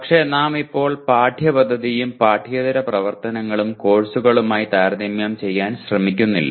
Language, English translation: Malayalam, But here we are not trying to compare co curricular and extra curricular activities with the courses as of now